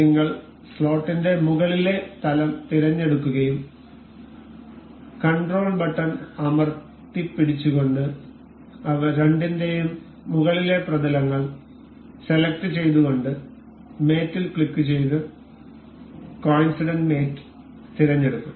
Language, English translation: Malayalam, And if we select the top plane of the slot and we control select the top planes of both of them and we will click on mate and select coincident mate ok